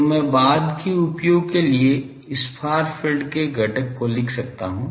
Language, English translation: Hindi, So, I can write this far field component for later use